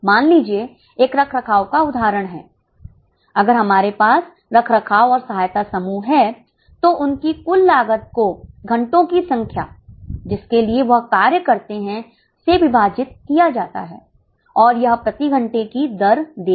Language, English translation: Hindi, If we have a maintenance and support group, we calculate their total cost divided by number of hours for which they have worked which will give us rate per hour